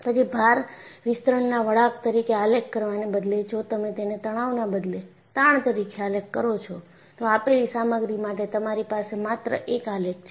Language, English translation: Gujarati, Then, instead of plotting as load elongation curve, if you plot it as stress versus strain, you will have just one graph for a given material